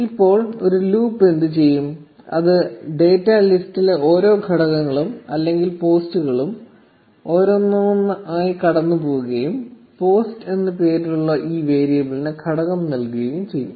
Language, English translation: Malayalam, Now what this loop will do is it will go over every element or post in the data list one by one and assign the element to this variable named post